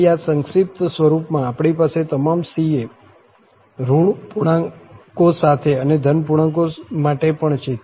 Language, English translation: Gujarati, So, in this compact form, we have all c's with negative integers and also for positive integers